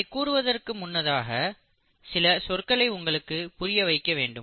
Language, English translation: Tamil, But before I get to that, I need to explain you a few terms